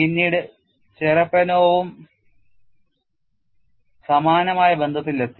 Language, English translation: Malayalam, Later Cherepanov also arrived at similar relations